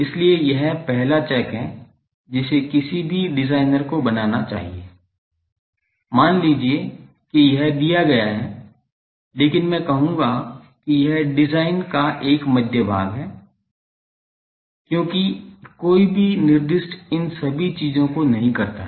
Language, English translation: Hindi, So, this is the first check any designer should make, that suppose this is given these, but I will say that this is a middle part of the design, because no specifier does not all these things